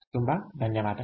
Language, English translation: Kannada, ok, thank you very much